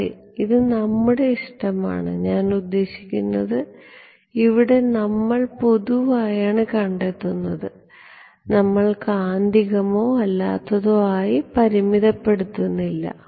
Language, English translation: Malayalam, Yeah, it is an our choice, I mean we are doing a general derivation, we are not restricting ourselves to magnetic or non magnetic